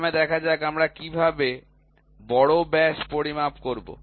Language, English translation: Bengali, First let us see, how do we measure the major diameter